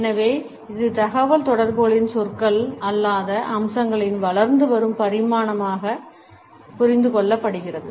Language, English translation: Tamil, And therefore, it is understood as an emerging dimension of non verbal aspects of communication